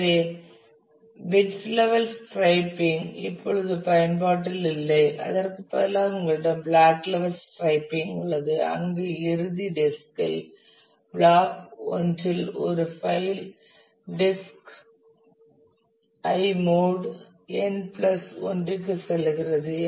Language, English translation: Tamil, So, bits levels striping is not much in use any more instead you have block level striping where with end disk a block I of a file goes to the disk i mod n plus 1